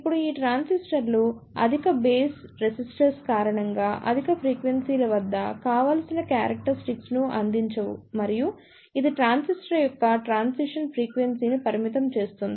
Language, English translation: Telugu, Now these transistors do not provide desirable characteristics at higher frequencies due to their high bass resistance and it limits the transition frequency of the transistor